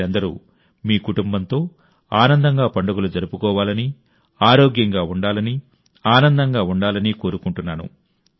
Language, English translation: Telugu, I wish you all celebrate with joy, with your family; stay healthy, stay happy